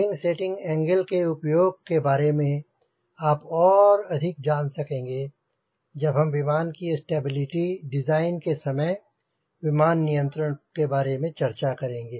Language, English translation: Hindi, we will know more about the utility of this wing setting angle when you talk about controlling the airplane during the stability design of the airplane